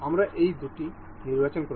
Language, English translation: Bengali, We will select these two